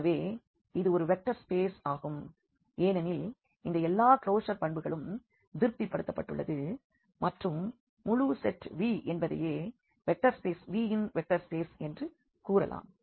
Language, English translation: Tamil, So, this is a vector space because all these closure properties are satisfied and the whole set V itself we can call as a vector subspace of the vector space V